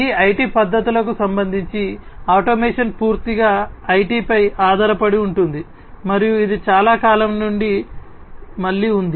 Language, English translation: Telugu, With respect to now these IT methodologies, automation is solely dependent on IT and this has been there again since long